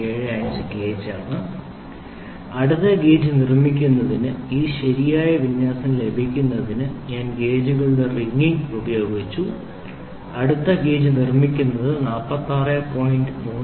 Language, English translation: Malayalam, 75 gauge, I have used wringing of the gauges to get this proper alignment to build for build gauge for next was build slip gauges for 46